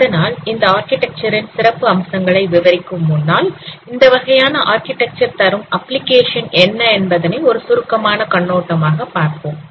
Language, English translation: Tamil, So before describing the features of this architecture, let me give a brief overview what are the applications which are reported by this kind of architecture